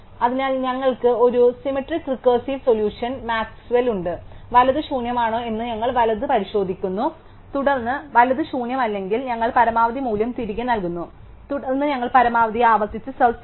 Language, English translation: Malayalam, So, we have a symmetric recursive solution maxval, we checks the right if the right is nil then we are at the maximum we return the value if the right is not nil, then we recursively search the right for the maximum